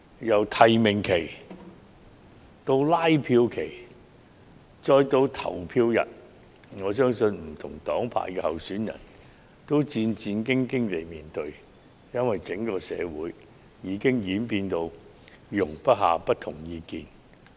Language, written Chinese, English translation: Cantonese, 由提名期到拉票期，再到投票日，我相信不同黨派的候選人均是戰戰兢兢地面對，因為整個社會已變得容不下不同意見。, From nomination to election campaign and then to the polling day I believe candidates of different political camps have been wary . It is because people cannot tolerate different opinions